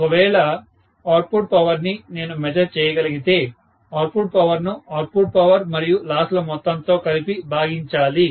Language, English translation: Telugu, So, I can say this as output if I am able to measure, output power divided by output power plus losses, right